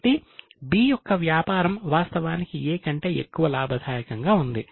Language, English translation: Telugu, So, B is business is actually more profitable than that of A